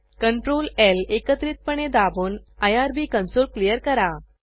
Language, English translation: Marathi, Press ctrl, L keys simultaneously to clear the irb console